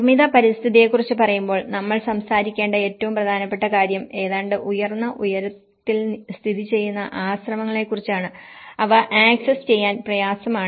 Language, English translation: Malayalam, When we talk about the built environment, the most important things we have to talk is the monasteries which are almost located in the higher altitudes and they are difficult to access